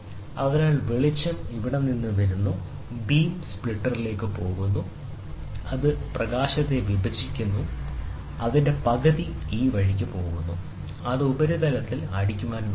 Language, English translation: Malayalam, So, the light comes from here, goes to the beam splitter, it splits the light and half of it goes this way, and it tries to hit at the surface